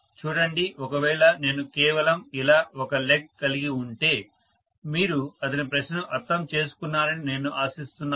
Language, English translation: Telugu, See, if I just have one leg like this, I hope you understand his question